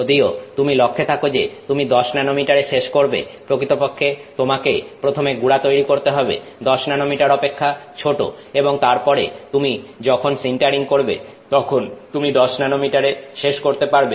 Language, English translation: Bengali, So, even if you were targeting let's say 10 nanometer size to finish with you will actually have to first create powders which are smaller than 10 nanometers and then when you do the sintering you will end up getting 10 nanometers